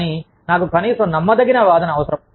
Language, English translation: Telugu, But, i need a convincing argument, at least